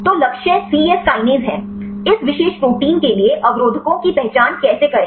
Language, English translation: Hindi, So, the target is the cyes kinase; how to identify the inhibitors for this particular protein